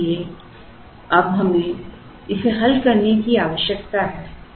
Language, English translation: Hindi, Now, how do we solve this problem